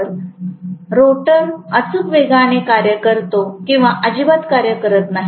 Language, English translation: Marathi, So, the rotor works exactly at synchronous speed or does not work at all